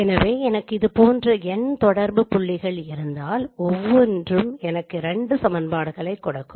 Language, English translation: Tamil, So if I have n such points, n point correspondences, each one will give me two equations